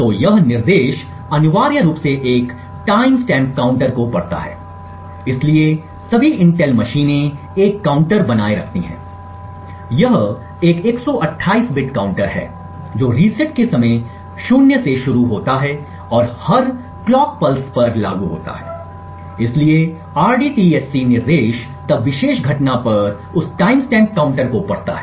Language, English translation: Hindi, So this instruction essentially reads a timestamp counter, so all Intel machines maintain a counter, it is a 128 bit counter which starts at 0 at the time of reset and implements at every clock pulse, so the rdtsc instruction then reads the timestamp counter at that particular incident